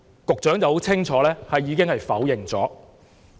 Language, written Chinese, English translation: Cantonese, 局長很清楚地否認。, The Secretary denied it categorically